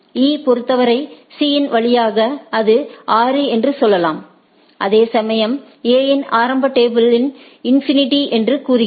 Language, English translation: Tamil, For E, C says that via C that it is a there is it can go by 6 whereas, A’s initial table says it was the infinity